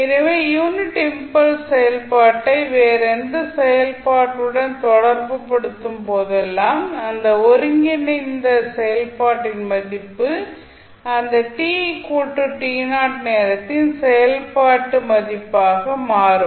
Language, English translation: Tamil, So, whenever you associate unit impulse function with any other function the value of that particular combined function will become the function value at time t is equal to t naught